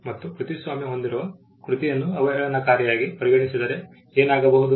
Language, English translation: Kannada, What would happen if there is derogatory treatment of a copyrighted work